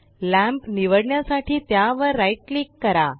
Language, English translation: Marathi, Right click the lamp to select it